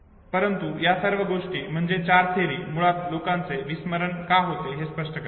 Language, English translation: Marathi, There are series of theories which explains why people forget